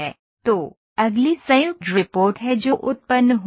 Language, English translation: Hindi, So, next is joint report that is generated